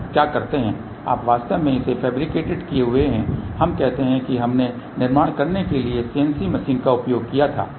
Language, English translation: Hindi, What you do you actually get it fabricated let us say we had use cnc machine to do the fabrication